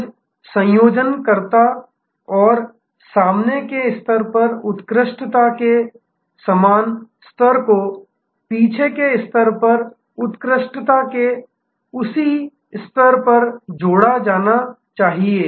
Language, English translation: Hindi, The seamless connectivity and the same level of excellence at the front stage must be complimented by that same level of excellence at the back stage